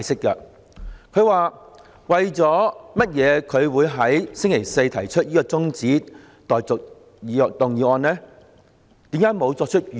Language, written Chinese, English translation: Cantonese, 他先寫道："為甚麼我就星期四提出的中止待續動議沒有作出預告？, There he started it off by writing this Why did I propose the adjournment motion without notice on Thursday?